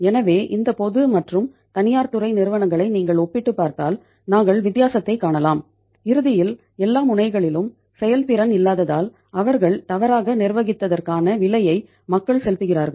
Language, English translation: Tamil, So it means if you compare these uh public and private sector companies we are seeing the difference and ultimately people have been paying the price for their mismanagement for the their say lack of efficiency on all the fronts